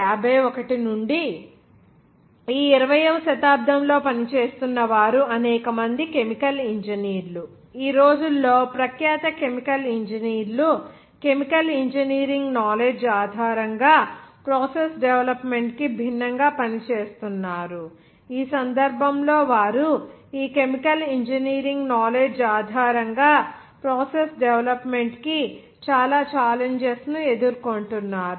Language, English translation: Telugu, From 1951 onward, that is later half of this 20th century several chemical engineers they were working, when now a day’s also renowned chemical engineers they are working in different that process development based on the chemical engineering science knowledge in that case by they were facing a lot of challenges for the development of the process based on this chemical engineering knowledge’s